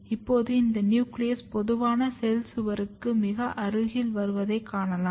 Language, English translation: Tamil, Now, you can see that this nucleus are coming very close to the common cell wall